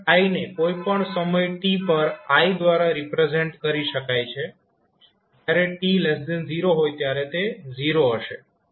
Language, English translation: Gujarati, Your current I at any time t can be represented as I is 0 when time t less than 0